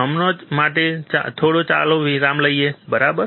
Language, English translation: Gujarati, For now, let us take a break, alright